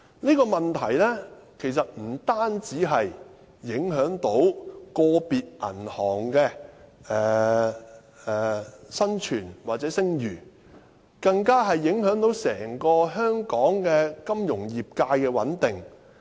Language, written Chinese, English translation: Cantonese, 這個問題其實不單影響個別銀行的生存及聲譽，更影響到香港整個金融業界的穩定。, The issue affects not only the survival and reputation of individual banks but also the stability of the entire financial sector in Hong Kong